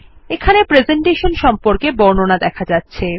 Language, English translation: Bengali, This step describes the presentation